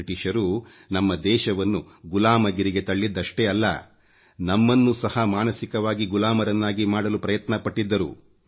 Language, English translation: Kannada, The Britishers not only made us slaves but they tried to enslave us mentally as well